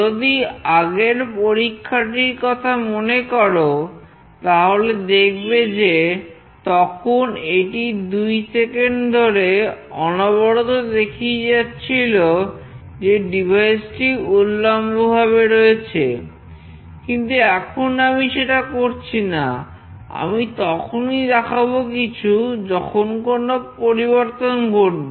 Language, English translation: Bengali, Now, if you recall in the previous experiment, it was continuously displaying that it is vertically up in 2 seconds, but now I am not displaying that